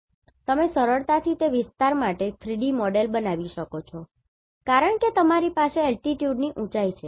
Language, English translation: Gujarati, You can easily build a 3D model for that area, because you are having the elevation the altitude